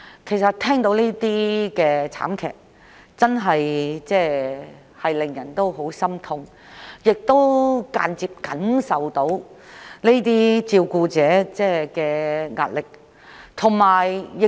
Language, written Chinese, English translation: Cantonese, 其實，每次聽聞這類慘劇，便真的十分心痛，亦能感受到這些照顧者所承受的壓力。, Whenever I heard of such tragedies my heart would sink and I could feel the stress borne by these carers